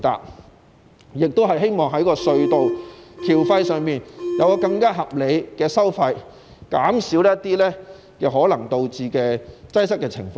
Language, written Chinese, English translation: Cantonese, 我亦希望在隧道收費方面更為合理，以減少可能導致的擠塞情況。, I also hope that the tunnel tolls will be more reasonable so as to reduce traffic congestion that may be caused by the toll levels